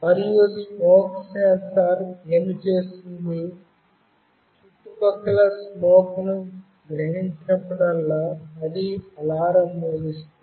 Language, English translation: Telugu, And what the smoke sensor will do, whenever it senses smoke in the surrounding, it will make an alarm